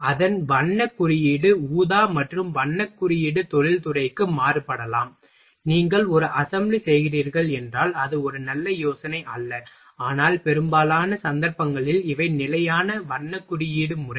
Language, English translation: Tamil, So, its colour code is purple and colour code may vary to industry to industry, it is not a stick to that if you are making a assembly, but so in most of the cases these are the standard colour coding